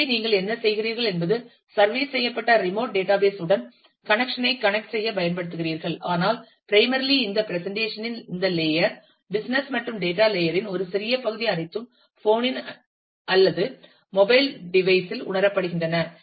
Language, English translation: Tamil, So, what you do is you use the connection to connect to the remote database provided by the service, but primarily most of this layer of this presentation, business and a small part of the data layer are all realized within the phone itself, or within the mobile device itself